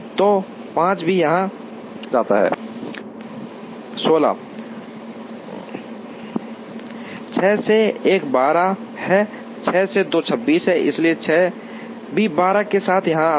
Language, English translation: Hindi, 6 to 1 is 12, 6 to 2 is 26, so 6 also goes here with 12